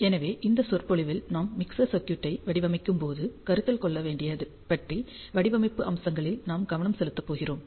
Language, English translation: Tamil, So, in this lecture, we are going to focus on the design aspects that have to be considered while designing a mixer circuit